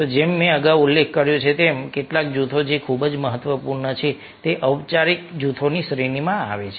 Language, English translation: Gujarati, so just we, as i ah mentioned earlier some of the groups which are very, very important, ah, they come under the category or formal group